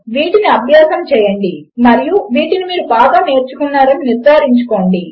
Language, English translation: Telugu, So, practice these and make sure you learn them well